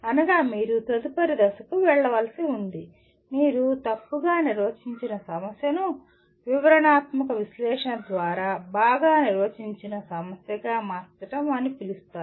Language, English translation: Telugu, That means you have to go to the next stage of further what do you call converting a ill defined problem to a well defined problem through a detailed analysis